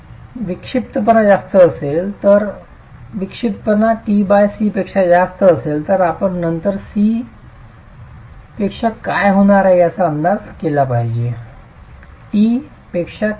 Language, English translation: Marathi, If eccentricity is greater than t by 6 then we have to then estimate what is going to be C which is less than T